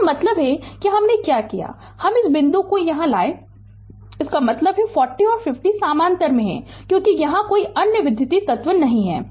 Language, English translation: Hindi, I mean what i did i bring this point bring this point here right; that means, 40 and 50 in parallel because no other electrical element is here